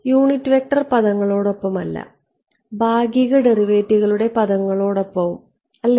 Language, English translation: Malayalam, So, this is a unit vector and this is in terms of I have grouped the partial derivatives right